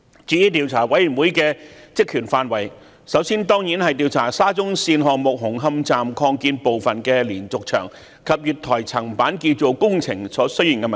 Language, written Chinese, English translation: Cantonese, 至於調查委員會的職權範圍，首先當然是調查沙中線項目紅磡站擴建部分的連續牆及月台層板建造工程所出現的問題。, With regard to the terms of reference of the Commission of Inquiry it should of course first of all inquire into the facts and circumstances surrounding the concerns about public safety in respect of the diaphragm wall and platform slab construction works at the Hung Hom Station Extension under the SCL project